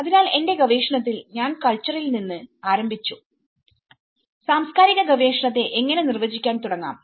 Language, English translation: Malayalam, So in my research, we started looking at the culture how we can start defining the cultural research